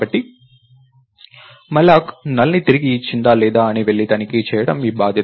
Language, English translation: Telugu, So, its your duty to go and check, if malloc returned NULL or not